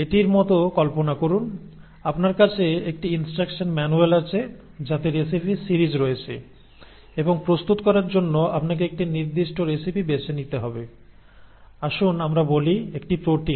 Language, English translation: Bengali, You know, imagine like this, you have a instruction manual which has got a series of recipes and you need to pick out one specific recipe to prepare, let us say, a protein